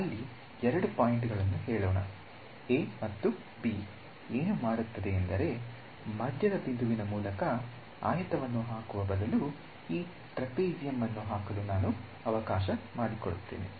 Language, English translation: Kannada, So, this is let us say the 2 points a and b what does it do is say is instead of putting a rectangle through the midpoint, I let me put trapezium that covers this right